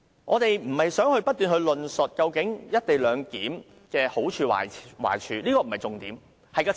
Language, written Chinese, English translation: Cantonese, 我們並非想不斷討論"一地兩檢"的好處和壞處，這不是重點。, We actually have no intention to keep discussing the merits and demerits of the co - location arrangement . This is not the main point